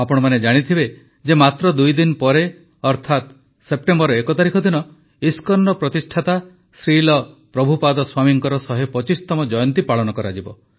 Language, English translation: Odia, You know that just after two days, on the 1st of September, we have the 125th birth anniversary of the founder of ISKCON Shri Prabhupaad Swami ji